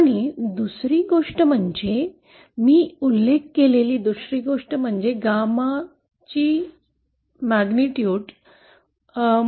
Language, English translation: Marathi, And the other thing is, the other thing that I mentioned is the magnitude of this gamma